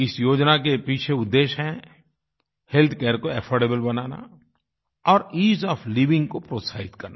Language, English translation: Hindi, The motive behind this scheme is making healthcare affordable and encouraging Ease of Living